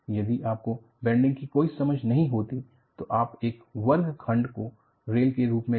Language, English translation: Hindi, If you had no understanding of bending, you would have taken a square section as a rail